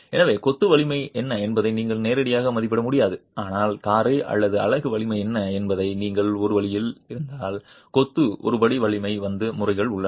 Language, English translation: Tamil, So you might not be able to directly estimate what is the strength of the masonry but if there is a way of knowing what is the strength of the motor and strength of the unit, there are methods of arriving at a homogeneous strength of masonry